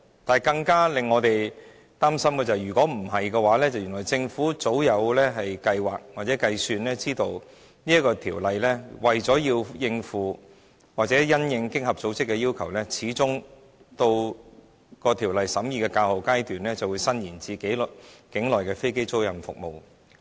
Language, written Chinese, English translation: Cantonese, 然而，更令我們擔心的是，如果不是這樣的話，而是原來政府早有計劃或計算，得知《條例草案》為了應付或因應經合組織的要求，在《條例草案》審議較後階段始終會將稅務寬減伸延至境內的飛機租賃服務。, On realizing this the Government immediately amended the Bills accordingly . However it would be very worrying if this was rather a planned or calculated move . The Government well understood that to address or in response to the OECD requirement the tax concessions would ultimately be extended to onshore aircraft leasing services at the later stage of the Bills scrutiny work